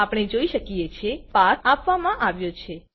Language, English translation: Gujarati, We can see that the path is given